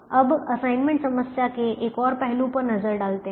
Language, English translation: Hindi, now let us look at one more aspect of the assignment problem